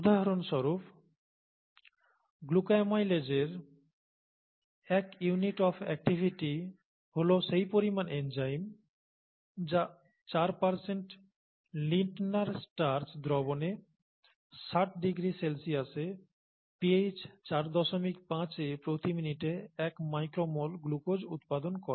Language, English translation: Bengali, For example, one unit activity of glucoamylase is the amount of enzyme which produces 1 micro mol of enzyme, 1 micro mol of glucose per minute in a 4% Lintner starch solution at pH 4